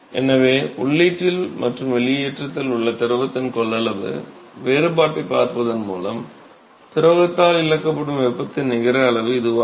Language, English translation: Tamil, So, that is the net amount of heat that is lost by the fluid by simply looking at the difference in the capacity of fluid at the inlet and at the outlet